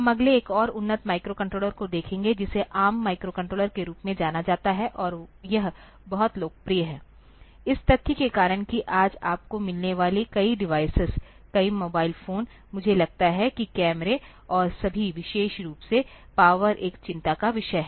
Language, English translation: Hindi, We will next look into another very advanced microcontroller which is known as ARM microcontroller and it is one of the very popular ones, because of the fact that many of the devices that you find today, many of the mobile phones, I think cameras and all that, for particularly the power is a concern